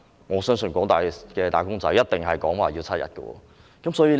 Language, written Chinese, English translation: Cantonese, 我相信廣大"打工仔"一定同意要爭取7天。, I believe that most wage earners would agree to strive for seven days paternity leave